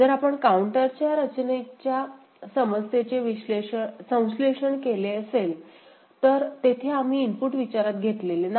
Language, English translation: Marathi, If we have seen that synthesis of counter design problem, there we did not consider the input right